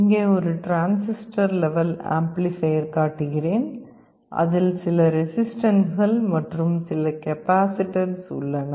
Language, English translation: Tamil, You see here this is the symbolic diagram of a microphone here I am showing you a transistor level amplifier which consists of some resistances and some capacitances